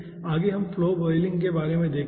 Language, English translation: Hindi, next lets us see something about flow boiling